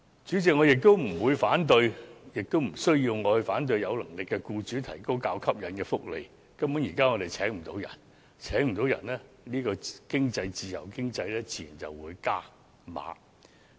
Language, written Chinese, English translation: Cantonese, 主席，我不反對亦無需反對有能力的僱主為僱員提供較吸引的福利，因為現時根本難以聘請員工，在自由經濟之下，僱主自然會"加碼"。, President I do not and need not oppose the better - off employers providing more attractive benefits for their employees because it is downright difficult to recruit workers nowadays and in a free economy it is only natural for employers to offer better pay and perks